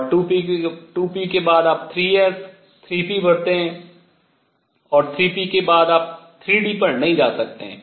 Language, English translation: Hindi, And after 2 p you fill 3 s, 3 p, and after 3 p you cannot go to 3 d